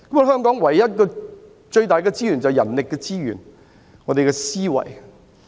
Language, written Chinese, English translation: Cantonese, 香港僅有的最大資源就是人力資源，包括我們的思維。, The greatest resource that Hong Kong has is its manpower including the human mind